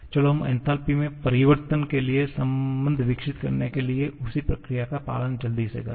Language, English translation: Hindi, Let us just follow the same procedure to quickly develop the relation for the changes in enthalpy